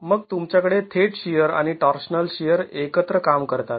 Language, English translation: Marathi, Then you have the direct shear and the torsional shear working together